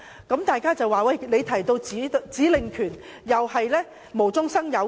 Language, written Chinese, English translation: Cantonese, 有人會說，中央所說的指令權是無中生有。, Some may say that the power of issuing directives mentioned by the Central Authorities is only a false claim